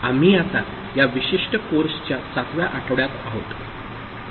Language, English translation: Marathi, We are now in week 7 of this particular course